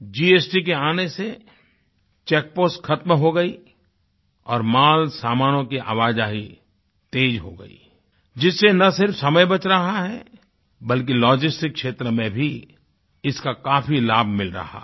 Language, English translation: Hindi, The check post has become extinct after the arrival of the GST scheme and the movement of goods has become faster, which not only saves time but is also accruing benefits in the areaof logistics